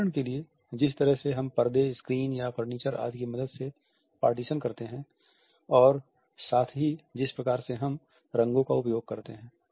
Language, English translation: Hindi, For example, the way we arrange curtains, screens, the partitions which we create with the help of furniture etcetera and at the same time the way we use colors